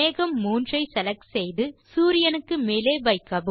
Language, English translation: Tamil, Now lets select cloud 3 and place it above the sun